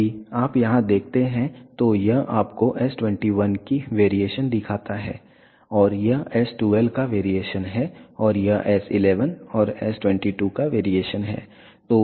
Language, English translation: Hindi, If you see here it shows you the variation of s 21 and this is a variation of s 12 and this is the variation of s 11 and s 22